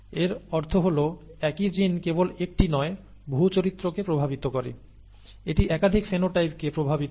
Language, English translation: Bengali, This means that the same gene affects many characters, not just one, it it affects multiple phenotypes